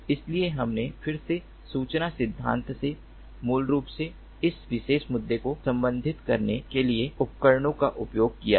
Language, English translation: Hindi, so we have again used tools from information theory to ah ah ah to basically address this particular issue